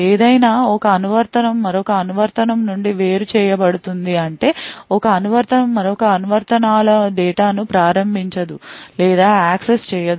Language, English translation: Telugu, However, one application is isolated from another application that is one application cannot invoke or access data of another applications